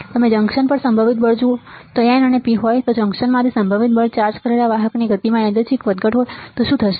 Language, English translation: Gujarati, You see potential force on the junction, potential force from the junction if there is N and P, what will happen the there is a random fluctuation in the motion of a charged carriers